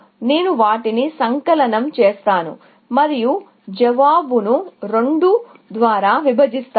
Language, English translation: Telugu, I will sum them up and divide the answer by 2